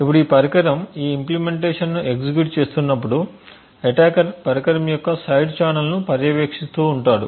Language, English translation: Telugu, Now as this implementation is executing within this device we have an attacker who is monitoring the device side channel